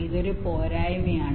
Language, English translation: Malayalam, this is one drawback